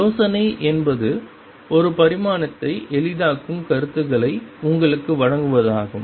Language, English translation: Tamil, Idea is to give you the concepts one dimension makes it easy